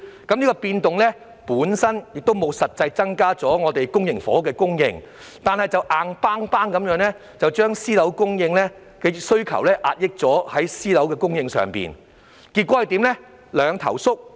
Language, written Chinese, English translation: Cantonese, 這項變動本身沒有實際增加公營房屋的供應，卻硬生生地壓抑私樓的供應，結果導致供應"兩頭縮"。, This adjustment would not increase the actual public housing supply but has rigidly suppressed private housing supply resulting in a reduction in supply at both ends